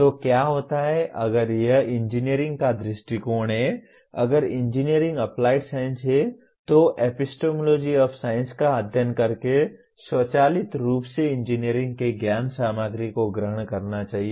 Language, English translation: Hindi, So what happens is if this is the view of engineering, if engineering is applied science then studying the epistemology of science should automatically subsume the knowledge content of engineering